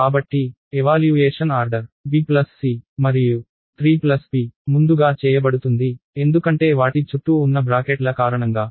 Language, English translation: Telugu, So, the evaluation order is b plus c and 3 plus p would be done first, because of the brackets that you have around them